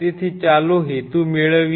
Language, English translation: Gujarati, So, let us get the purpose